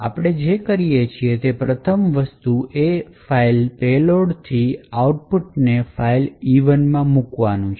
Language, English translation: Gujarati, The first thing we do is to put the output from find payload into some file E1